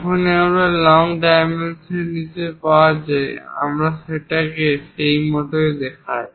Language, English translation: Bengali, Whenever you have available long dimensions, we show it like over that